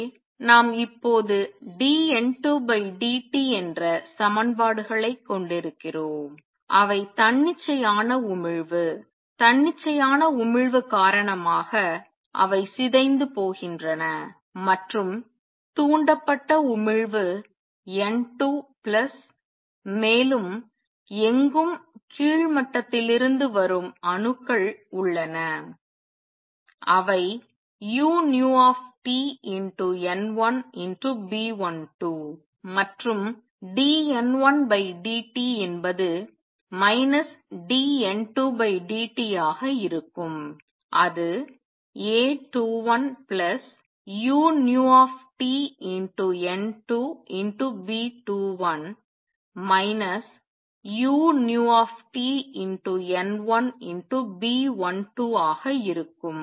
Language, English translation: Tamil, So, what we have going to now have the equations as is dN 2 by dt they decay because of the spontaneous emission and also due to stimulated emission N 2 plus anywhere there are atoms coming from the lower level and that will be B 12 u nu T N 1 and dN 1 by dt will be minus dN 2 by dt and that will A 21 plus B 2 1 u nu T N 2 minus B 12 u nu T N 1